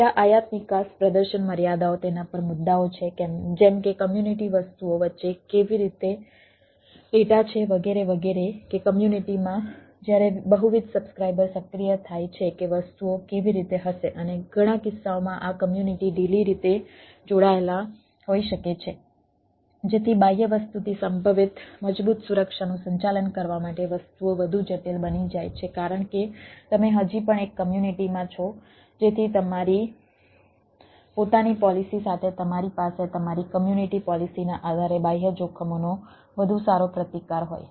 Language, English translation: Gujarati, there are issues on that like how between the community, ah things, etcetera, whether the data, or within the community, when multiple subscriber come in to play that, how things will be there and number of cases this communities can be loosely coupled so that things becomes more critical to manage potentially strong security from the external thing, because still you are in the one community so that you have a better resistance to the external threats based on your community policies along with your own policy